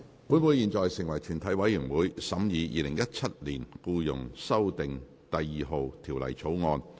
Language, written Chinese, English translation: Cantonese, 本會現在成為全體委員會，審議《2017年僱傭條例草案》。, Council now becomes committee of the whole Council to consider the Employment Amendment No . 2 Bill 2017